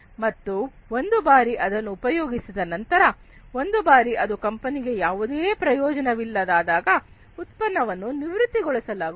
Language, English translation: Kannada, And then once it is used, once it is no longer useful to the company, the product has to be retired